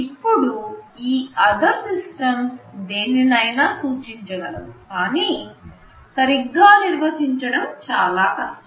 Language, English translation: Telugu, Now this “other systems” can refer to anything, it is very hard to define in a very specific way